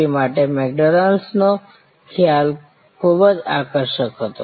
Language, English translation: Gujarati, V the concept of McDonald's was so fascinating